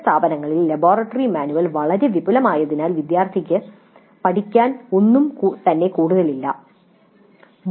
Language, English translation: Malayalam, In some cases, some institutes, the laboratory manuals are so elaborate that there is nothing left for the student to learn as such